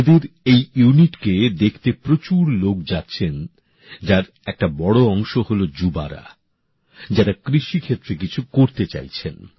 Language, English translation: Bengali, A large number of people are reaching to see this unit, and most of them are young people who want to do something in the agriculture sector